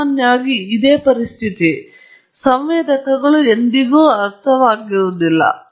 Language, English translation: Kannada, In general, this is the situation; sensors are never perfectly understood